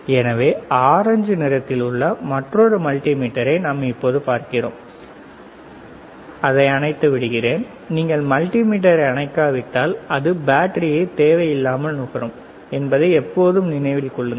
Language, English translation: Tamil, So, how about we see the other multimeter, right which is the orange one, let me switch it off always remember if you do not switch off the multimeter it will consume the battery